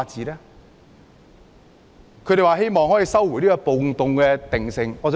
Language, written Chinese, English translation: Cantonese, 另一個訴求是希望收回"暴動"定性。, Another demand is that the Government should retract the riot categorization